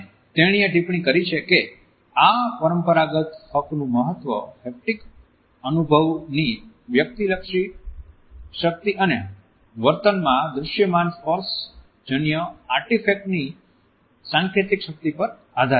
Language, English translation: Gujarati, And she is commented that “the significance of this traditional right is based on the subjective power of the haptic experience and the symbolic potency of the visible tactual artifact in behavior”